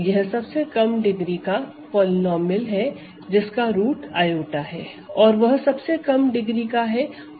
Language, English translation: Hindi, It is the least degree polynomial that has i has a root, of course x squared plus 1 has i as a root